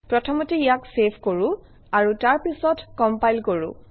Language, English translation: Assamese, You save first, and then compile it